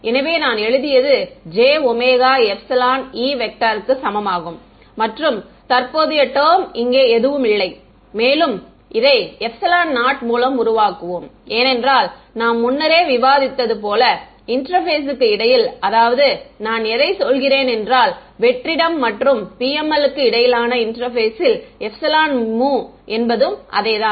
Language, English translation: Tamil, So, that I wrote was equal to j omega epsilon E there is no current term over here and further let us just make it epsilon naught because we had discussed previously that the between the interface I mean at the interface between vacuum and PML epsilon mu were the same right